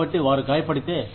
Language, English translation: Telugu, So, if they get hurt